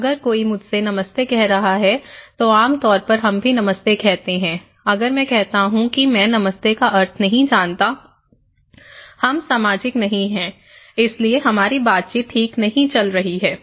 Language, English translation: Hindi, If somebody is saying to me, hi or hello generally, we say hello are hi, if I say okay I don't know the meaning of hi or anything well, we are not social right, so our interaction is not going on well